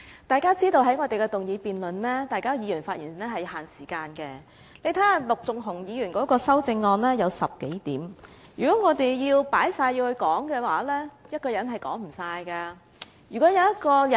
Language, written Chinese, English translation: Cantonese, 大家也知道，議員在議案辯論中發言是有限時的，大家看一看，陸頌雄議員的修正案有10多點，如果我們全部也加入議案內討論，一個人是說不完的。, As we all know there are time limits to the speeches delivered by Members in motion debates . If Members care to take a look they will find that there are more than a dozen points in Mr LUK Chung - hungs amendment . If we had incorporated all of them into the motion for discussion it would have been impossible for one person to cover them all